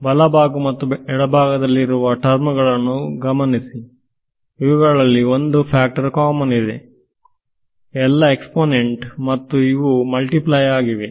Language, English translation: Kannada, So, notice that all the terms on the left hand side and the right hand side have one factor in common which is E n i there all exponential so there will be multiplied with each other